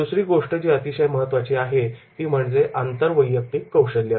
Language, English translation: Marathi, Second is very, very important and that is the interpersonal skills